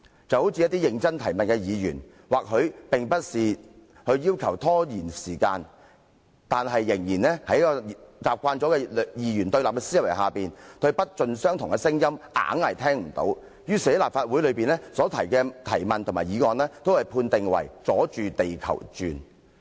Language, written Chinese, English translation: Cantonese, 一些認真提問的議員，或許並不是尋求拖延時間，但習慣了二元對立思維的人，對不盡相同的聲音總是裝作聽不懂，於是將這些議員在立法會內提出的質詢和議案一律判定為"阻住地球轉"。, Some Members who seriously ask questions perhaps do not seek to procrastinate but people who are used to binary oppositional thinking always pretend they do not understand dissenting voices and therefore conclude that all the questions asked and motions moved by those Members in this Council are obstructing the rotation of the Earth